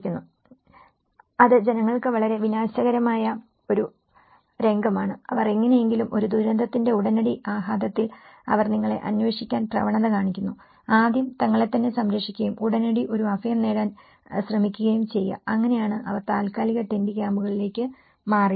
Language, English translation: Malayalam, You know, that is very destructive scene for the people, they somehow under the immediate impact of a disaster, they tend to look for you know, first safeguarding themselves and try to look for an immediate shelter, so that is where they moved to the temporary tent camps